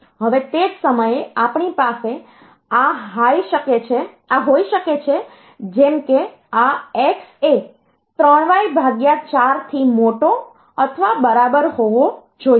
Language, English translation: Gujarati, Similarly, from this I can say that y should be greater or equal 5